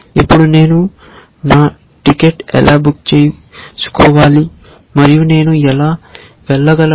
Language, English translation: Telugu, Now, how do I book my ticket and how do I go from